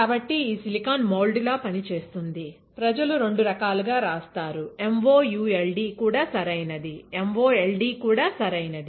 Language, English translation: Telugu, So, this silicon will act as a mould, people write in the different way; MOULD is also correct, MOLD is also correct, all right